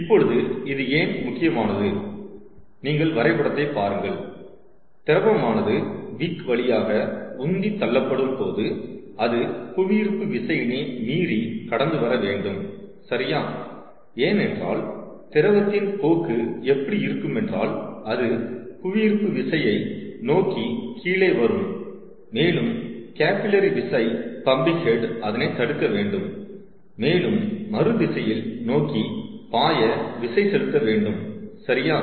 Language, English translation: Tamil, if you look at this diagram itself, see, as the liquid is pumped through the wick, it also has to overcome the force due to gravity, right, because the tendency of the liquid will be to come down along the direction of gravity, and the capillary force pumping head has to prevent that also and force it to flow in the opposite direction, right